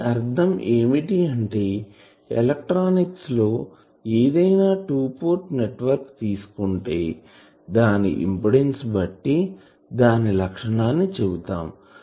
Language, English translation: Telugu, So; that means, anything in electronics any 2 port network; we characterize it by an impedance